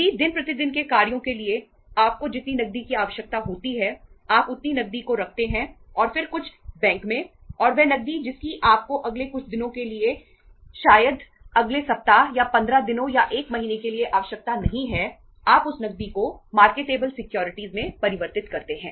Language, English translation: Hindi, If you how much cash you require normally for day to day operations you keep that much in hand and then some in the bank and that cash which you donít require for say next couple of days or maybe next week or 15 days or 1 month, you convert that cash into marketable securities